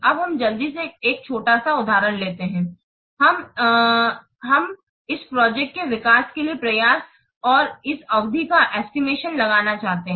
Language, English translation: Hindi, Now let us quickly take a small example where we want to find out what this effort and the effort and this duration